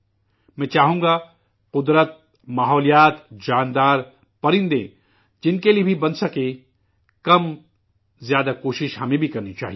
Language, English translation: Urdu, I would like that for nature, environment, animals, birdsor for whomsoever small or big efforts should be made by us